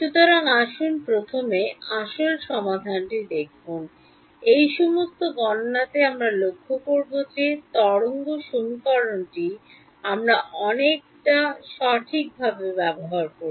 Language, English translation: Bengali, So, let us first look at the true solution, will notice in all of these calculations we use the wave equation a lot right because it is very easy to handle